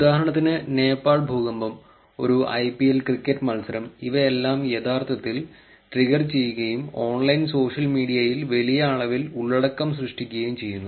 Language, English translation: Malayalam, For example, there is Nepal earthquake, IPL cricket match all of this is actually triggered and huge amount of content that is generated on online social media